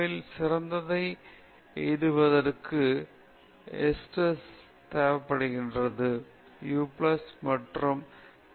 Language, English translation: Tamil, Eustress is required for bringing out the best in us; u plus stress is good